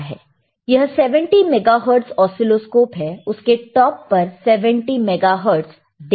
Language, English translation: Hindi, These are 70 megahertz oscilloscope, you can you can see on the top the 70 megahertz, all right